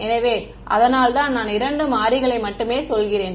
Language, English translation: Tamil, So, that is why I am saying only two variables